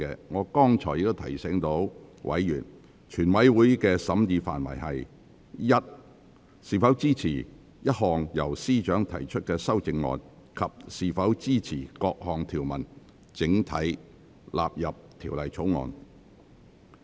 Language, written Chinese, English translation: Cantonese, 我剛才已提醒委員，全體委員會的審議範圍應是：一是否支持一項由司長提出的修正案；及二是否支持各項條文整體納入《條例草案》。, I have reminded Members earlier that the scope of deliberation of the committee includes 1 whether Members support the amendment moved by the Secretary for Justice; and 2 whether Members support that clauses with no amendment stand part of the Bill